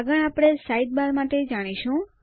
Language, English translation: Gujarati, Next we will look at the Sidebar